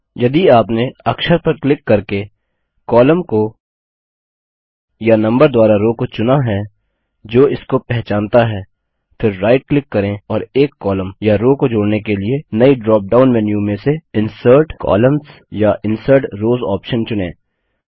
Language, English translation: Hindi, If you have selected a column by clicking the Alphabet that identifies it or a row by the Number that identifies it, then right click and choose the Insert Columns or Insert Rows option in the drop down menu that appears, in order to add a new column or row